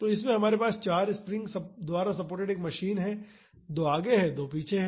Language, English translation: Hindi, So, in this we have a machine supported by 4 springs; so, two are in the front and two are at the back